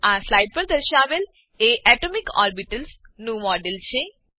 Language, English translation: Gujarati, Shown on this slide are models of atomic orbitals